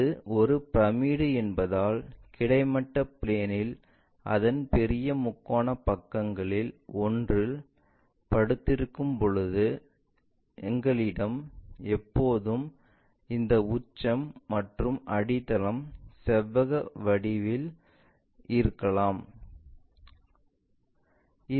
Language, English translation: Tamil, When it lies on one of its larger triangular faces on horizontal plane, because it is a pyramid, we always have these apex vertex and base might be rectangular thing